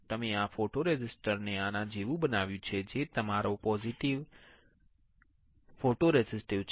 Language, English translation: Gujarati, You have pattern your photoresist like this which is your positive photoresist